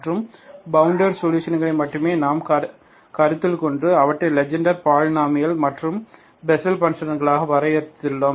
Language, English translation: Tamil, And bounded solutions only we considered and defined them as Legendre polynomial and Bessel functions, okay